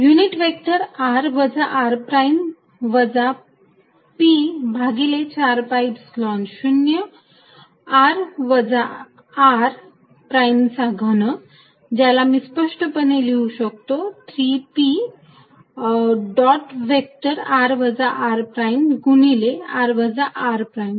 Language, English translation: Marathi, Unit vector r minus r prime minus p divided by 4 pi Epsilon 0 r minus r prime cubed, which explicitly I can also write as 3 p dot vector r minus r prime multiplied by vector r minus r prime